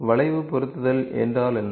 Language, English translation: Tamil, What is curve fitting